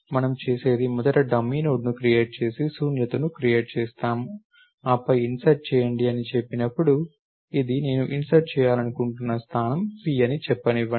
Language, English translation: Telugu, So, what we do is we create a dummy node first and we create a make null, then when we say insert at let me say this is a position p at which I want to insert